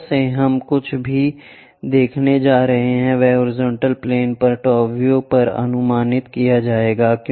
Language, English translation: Hindi, From top whatever we are going to look at that will be projected on to top view, on the horizontal plane